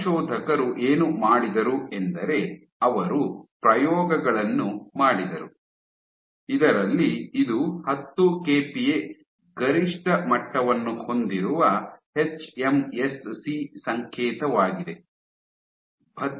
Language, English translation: Kannada, So, what the authors did was they did experiments in which so this is your hMSC signal with a peak at 10 kPa